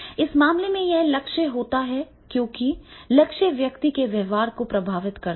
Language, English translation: Hindi, So therefore in that case it will be the goal because the goals influence a person's behavior